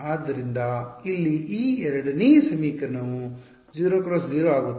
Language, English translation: Kannada, So, this 2nd equation over here becomes 0 times 0 times no